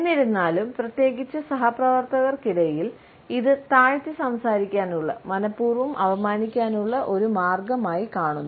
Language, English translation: Malayalam, However, particularly among colleagues, it is seen as a way of talking down, a deliberate insult